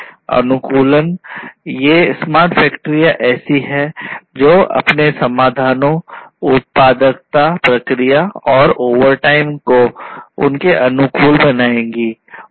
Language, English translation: Hindi, Optimization; over all these smart factories are such that they will optimize their solutions their productivity, their processes, and so on overtime